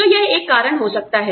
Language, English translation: Hindi, So, that might be a reason